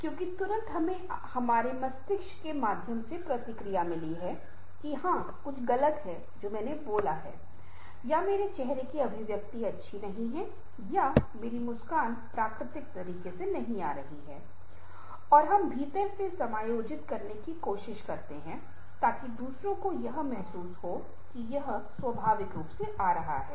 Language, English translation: Hindi, because immediately we have got the feedback through our brains that, yes, something wrong i have spoken, or my facial expression is not good, or my smile is not coming in the natural way, and we try to adjust from within so that other soul, others, should feel that it is coming in a natural way